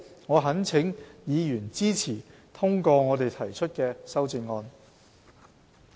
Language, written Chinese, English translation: Cantonese, 我懇請議員支持通過我們提出的修正案。, I implore Members to support the passage of the amendments proposed by us